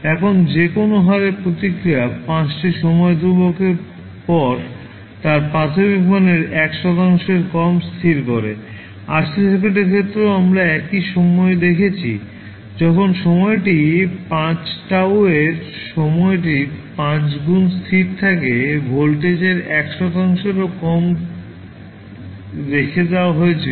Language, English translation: Bengali, Now, at any rate the response decays to less than 1 percent of its initial value after 5 time constants so, the same we saw in case of RC circuit also, when the time is 5 tau that is 5 times of the time constant the value of voltage was left with less than 1 percent